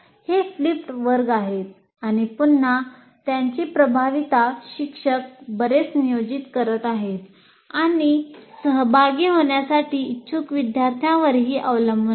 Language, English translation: Marathi, So that is flipped classroom and once again its effectiveness will depend on a first teacher doing a lot of planning and also the fact students willing to participate